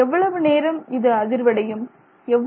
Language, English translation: Tamil, How long does it continue to move